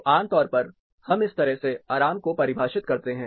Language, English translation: Hindi, So, typically we define comfort in this way